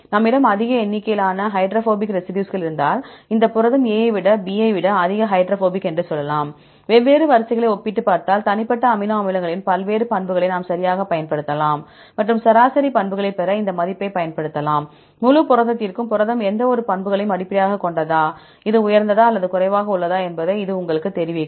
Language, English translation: Tamil, If we have more number of hydrophobic residues, then we can say this protein A is highly hydrophobic than protein B right, if we compare different sequences, we can use various properties of the individual amino acids right and use this value to get the average values for the whole protein and this will tell you whether the protein is based on any property, it is high or low